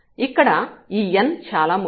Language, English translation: Telugu, So, this is important this n here